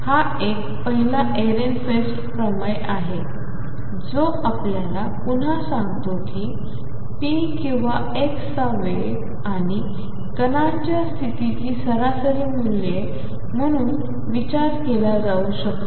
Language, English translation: Marathi, This is a first Ehrenfest theorem that again tells us that the expectation value of p or expectation value of x can be thought of as the average values of the momentum and position of the particle